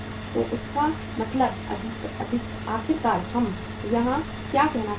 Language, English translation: Hindi, So it mean finally what we want to say here